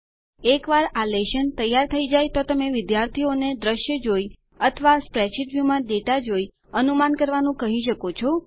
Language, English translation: Gujarati, Once this lesson is prepared you can ask students to predict the function by seeing the visual trace or the data in the spreadsheet view